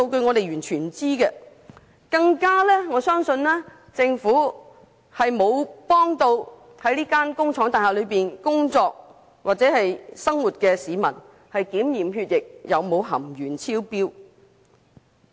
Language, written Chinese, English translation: Cantonese, 我更加相信政府並沒有向在這幢工廠大廈工作或生活的市民提供協助，讓他們檢驗血液含鉛量有否超標。, I even believe that the Government has not provided the people working and living in that factory building with any assistance in receiving blood tests to ascertain whether there is any excess lead in their blood